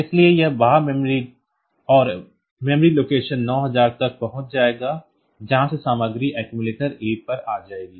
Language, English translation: Hindi, So, it will be accessing the external memory and memory location 9000 from there the content will come to accumulated at a